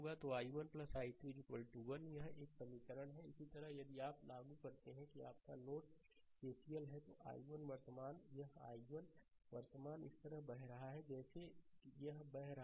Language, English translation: Hindi, So, i 1 plus i 2 is equal to 1; this is one equation will come, right, similarly, if you apply here that your this node ah that KCL, then i 1 current this i 1 current is flowing like this flowing like this flowing like this